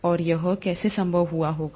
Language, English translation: Hindi, And how it would have been possible